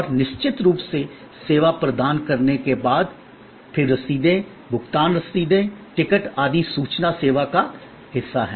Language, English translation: Hindi, And of course, after the service is provided, then receipts, the payment receipts, tickets, etc